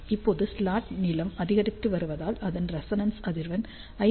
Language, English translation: Tamil, Now, as the slot length is increasing its resonance frequency decreases from 5